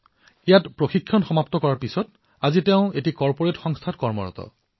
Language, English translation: Assamese, After completing his training today he is working in a corporate house